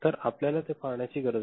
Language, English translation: Marathi, So, that is what we need to see